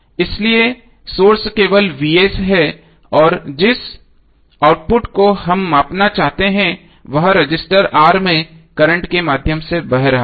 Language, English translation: Hindi, So the source is only Vs and the output which we want to measure is current flowing through resistor R